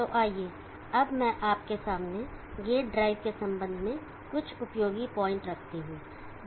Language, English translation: Hindi, Let me now point out to you some practical point with regard to gate drives